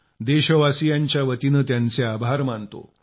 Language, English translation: Marathi, I thank you wholeheartedly on behalf of the countrymen